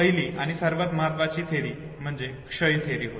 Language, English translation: Marathi, First and the most important theory is the theory of decay